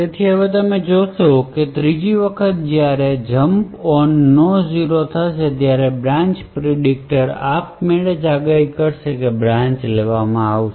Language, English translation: Gujarati, So, now you see that the 3rd time when that a jump on no zero gets executed the branch predictor would automatically predict that the branch would be taken